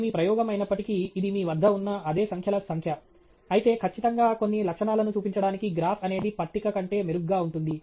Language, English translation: Telugu, Even though it is your experiment, it’s the same set of numbers that you have and so on, but definitely to show certain features the graph is much better than a table is